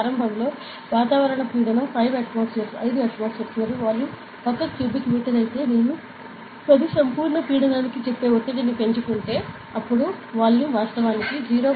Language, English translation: Telugu, So, initially if the atmospheric pressure was 5 atmosphere and volume was 1 meter cube, then if I increase the pressure to say 10 atmospheric absolute pressure; then the volume will decrease actually to how much to 0